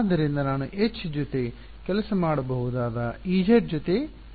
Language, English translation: Kannada, So, I need not work with Ez I can work with H